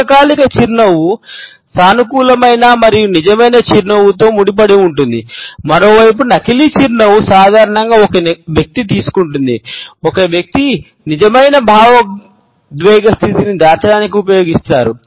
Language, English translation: Telugu, A lingering smile is associated with a positive and a genuine smile, on the other hand a fake smile is normally taken up by a person, used by a person to cover the real emotional state